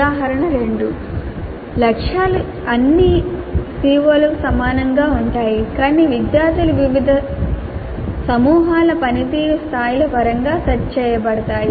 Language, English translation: Telugu, Example 2 targets are the same for all CEOs but are set in terms of performance levels of different groups of students